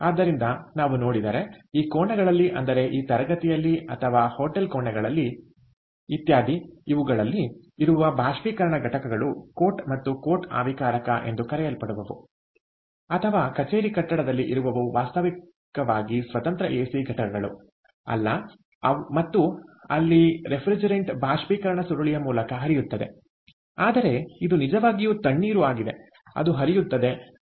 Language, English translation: Kannada, ok, so the evaporator units, the so called coat and coat evaporator units that we see in the rooms of this, lets say, in this classroom or in the hotel rooms, etcetera, or in the office building, is actually not a standalone ac and they where the refrigerant is flowing through the evaporator coil, but it is actually chilled water that is flowing and so it is a heat exchanger